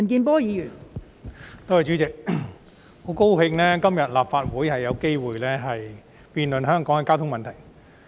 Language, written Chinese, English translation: Cantonese, 代理主席，我很高興立法會今天可以就香港的交通問題進行辯論。, Deputy President I am very glad that today the Legislative Council can debate on the traffic problems in Hong Kong